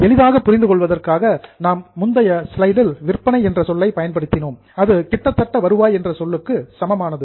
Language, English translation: Tamil, For a simple understanding in the earlier slide I had used the word sales, which is more or less same as revenue